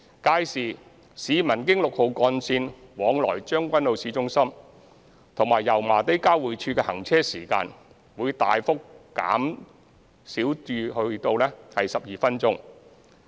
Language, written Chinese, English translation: Cantonese, 屆時，市民經六號幹線往來將軍澳市中心及油麻地交匯處的行車時間會大幅減少至12分鐘。, Upon commissioning of the entire Route 6 in 2026 as scheduled the journey time for travelling between Tseung Kwan O Town Centre and Yau Ma Tei Interchange along Route 6 will be substantially reduced to 12 minutes